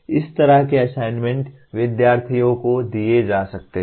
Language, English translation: Hindi, Such assignments can be given to the students